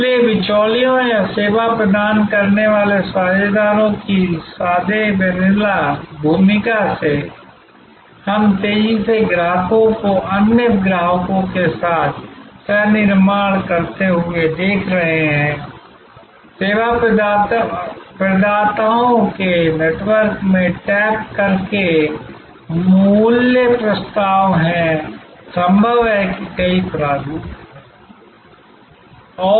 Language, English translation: Hindi, So, from plain vanilla role of intermediaries or service delivery partners, we are increasingly seeing customers co creating with other customers, value propositions by tapping into networks of service providers, there are multiple formations possible